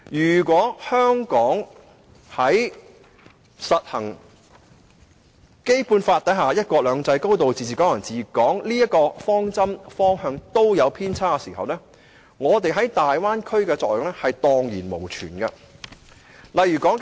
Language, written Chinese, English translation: Cantonese, 要是香港在實施《基本法》所承諾的"一國兩制"、"高度自治"及"港人治港"時有所偏差，我們的獨特優勢在大灣區便無用武之地了。, If there is any deviation from the principles of one country two systems a high degree of autonomy and Hong Kong people administering Hong Kong as enshrined in the Basic Law we will lose all our unique advantages in Bay Area development